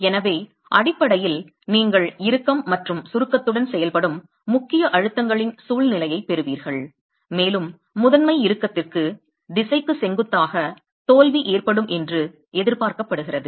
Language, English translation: Tamil, So basically you would have a situation of principal stresses acting with tension and compression and failure is expected to occur perpendicular to the direction of principal tension